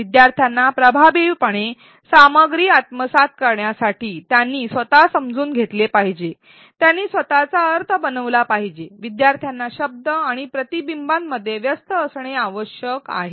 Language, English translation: Marathi, To help learners effectively assimilate content, construct their own understanding; make their own meaning, learners need to engage in articulation and reflection